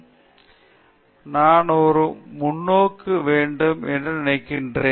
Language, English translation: Tamil, So, that is I think a very nice perspective to have